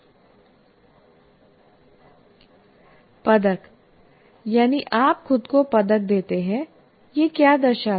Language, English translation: Hindi, Medal, that is, you give yourself a medal